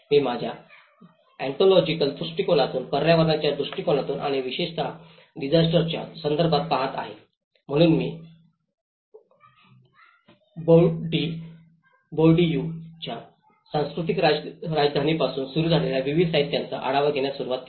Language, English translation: Marathi, I am looking from my ontological perspective, the built environment perspective and especially, in a disaster context, so that is where I started reviewing a variety of literature starting from Bourdieu’s cultural capital